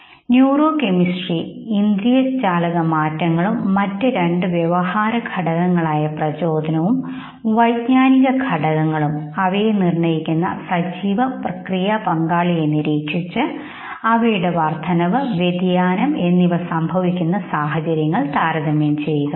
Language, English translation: Malayalam, Okay the change in the neuro chemistry sensorimotor changes and off course two behavioral factors the motivation and cognitive factors, now look at the activation partner and compare it in terms of the increase what verse the decrease situation